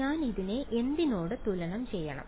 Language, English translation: Malayalam, What should I equate this to